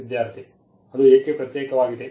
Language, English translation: Kannada, Student: Why is it there is a separate